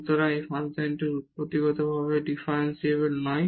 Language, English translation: Bengali, And hence, the function is not differentiable